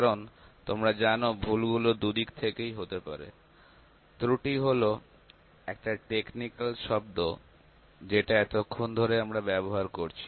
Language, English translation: Bengali, Because you know the errors can be at both hands; error is one of the technical terms that we have been using till now